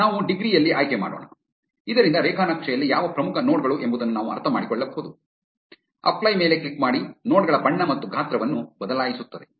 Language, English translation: Kannada, Let us select in degree, so that we can get a sense of which are the most important nodes in a graph, click on apply this will change the color and size of the nodes